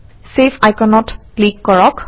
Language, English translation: Assamese, Click on the Save icon